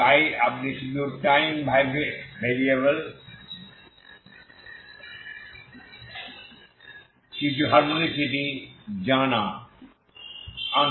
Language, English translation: Bengali, So you just bring in some harmonocity in the time variable